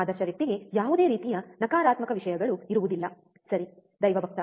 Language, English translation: Kannada, Ideal person would not have any kind of negative things, right is a godly